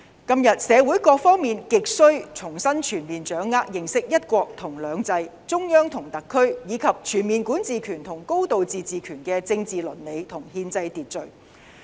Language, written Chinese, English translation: Cantonese, 今天社會各方面亟需重新全面掌握認識"一國兩制"、中央和特區，以及全面管治權和"高度自治"權的政治倫理和憲制秩序。, Today all sectors in society should seek to grasp and understand one country two systems the relationship between the Central Government and SAR the political ethics and constitutional order of the overall jurisdiction and high degree of autonomy